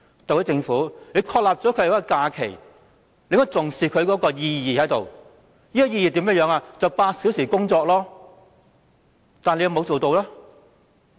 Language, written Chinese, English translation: Cantonese, 特區政府訂立了五一勞動節假期，理應重視其意義，便是8小時工作，但有否做到呢？, Having set the Labour Day on 1 May as a holiday the SAR Government should have attached importance to its significance which is eight hours work daily but has it done so? . No